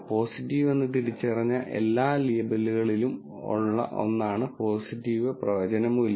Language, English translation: Malayalam, So, the positive predictive value is one where, of all the labels that were identified as positive